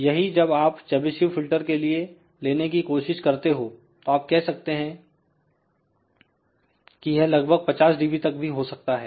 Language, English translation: Hindi, Whereas, a Chebyshev filter if you try to extend this further you can say that maybe close to 50 dB